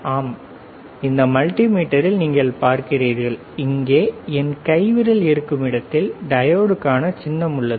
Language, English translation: Tamil, Yes, you see in this multimeter, there is a symbol for diode here